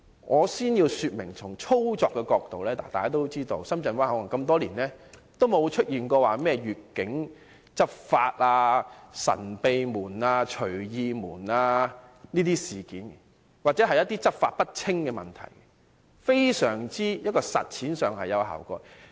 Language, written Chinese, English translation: Cantonese, 我先要說明，從操作的角度來看，大家也知道，深圳灣口岸多年來也不曾出現越境執法、"神秘門"、"隨意門"等事件，又或是執法不清等問題，實踐上非常有效果。, Let me first make it clear . From the angle of operation we know that over the years no such incidents as cross - boundary law enforcement secret door and swing door or problems such as unclear enforcement have ever occurred in the Shenzhen Bay Port . The practice has been rather effective